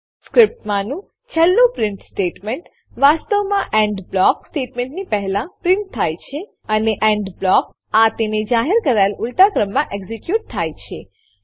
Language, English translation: Gujarati, The last print statement in the script actually gets printed before the END block statements and END blocks gets executed in the reverse order of their declaration